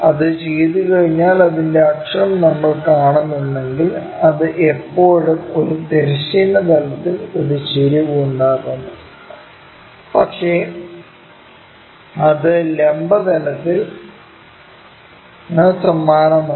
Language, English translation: Malayalam, Once it is done, its axis if we are seeing that is still making an inclination with a horizontal plane, but it is parallel to vertical plane